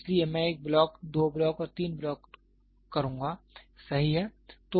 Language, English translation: Hindi, So, I will do one block, two block and three blocks, right